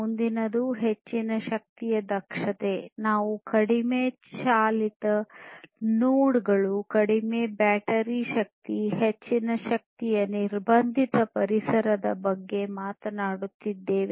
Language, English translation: Kannada, The next one is high power efficiency, we are talking about low powered nodes, low battery power, highly constrained, energy constrained environments